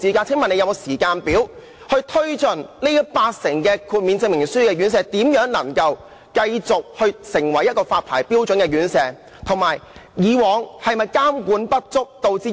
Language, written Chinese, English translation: Cantonese, 請問局方有否時間表，協助現時八成靠豁免證明書經營的院舍達到發牌標準，並以正式牌照繼續經營？, May I know if the Bureau has a timetable to assist the 80 % of care homes which currently rely on certificates of exemption to continue operation to meet licensing requirements so that they can operate with official licences?